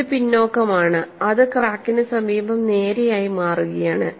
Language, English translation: Malayalam, It is backward and it is becoming straight near the crack and what I find here